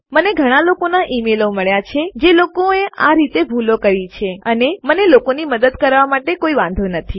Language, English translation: Gujarati, I get a lot of emails from people who have made mistakes like that and I dont mind helping people